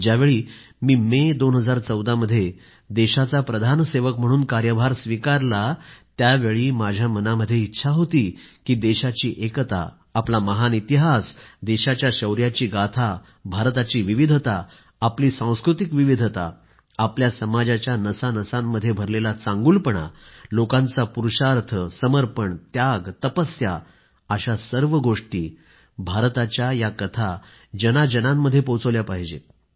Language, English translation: Marathi, And in 2014, when I took charge as the Pradhan Sevak, Principal Servant, it was my wish to reach out to the masses with the glorious saga of our country's unity, her grand history, her valour, India's diversity, our cultural diversity, virtues embedded in our society such as Purusharth, Tapasya, Passion & sacrifice; in a nutshell, the great story of India